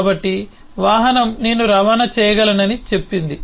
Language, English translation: Telugu, so vehicle says that i can transport